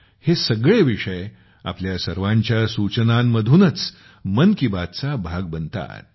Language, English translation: Marathi, All these topics become part of 'Mann Ki Baat' only because of your suggestions